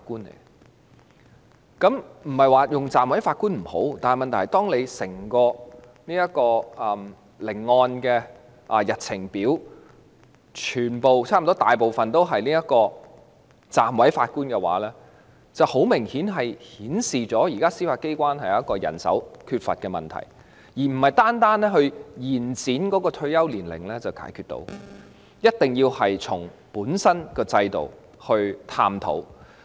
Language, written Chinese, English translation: Cantonese, 我不是說暫委法官不好，但問題是，當聆案日程表上全部或絕大部分都是暫委法官的話，便很明顯反映了現時司法機關缺乏人手的問題，這並非單靠延展退休年齡便能夠解決的，一定要從制度本身去探討這個問題。, I am not saying that deputy judges are not good but the problem is when the daily cause lists are all or mostly filled by deputy judges it obviously reflects the manpower shortage currently faced by the Judiciary . It cannot be resolved solely by extending the retirement ages but it is necessary to explore the problem starting with the system itself